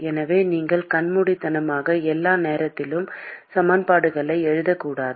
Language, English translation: Tamil, So, you should not blindly go and write equations all the time